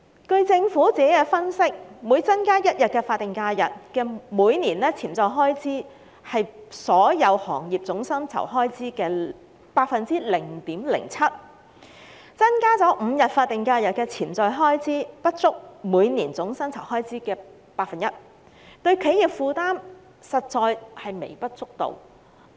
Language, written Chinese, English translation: Cantonese, 據政府作出的分析，每增加1天法定假日，每年的潛在開支是所有行業總薪酬開支的 0.07%； 增加5天法定假日的潛在開支，不足每年總薪酬開支的 1%， 對於企業的負擔實在是微不足道。, According to government analysis the annual potential additional cost on businesses for each additional day of SH would be around 0.07 % of the total wage bill of all industries . As such the potential cost of five additional SHs is less than 1 % of the total annual salary cost which is a negligible burden on businesses